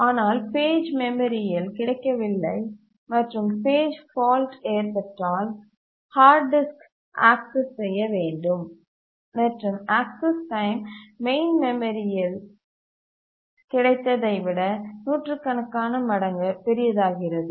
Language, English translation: Tamil, But if the page is not available on the memory and page fault occurs, then the hard disk needs to be accessed and the access time becomes hundreds of time larger than when it is available in the main memory